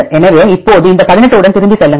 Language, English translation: Tamil, So, now, go back with this 18